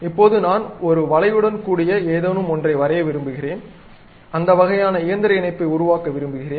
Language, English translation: Tamil, Now, I would like to have something like along an arc, I would like to construct that kind of link, mechanical link